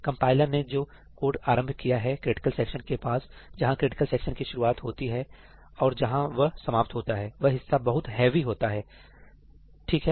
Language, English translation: Hindi, The code that the compiler introduces around a critical section, where the critical section starts and where it ends, is very very heavy